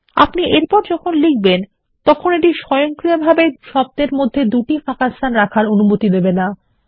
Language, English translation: Bengali, The next text which you type doesnt allow you to have double spaces in between words automatically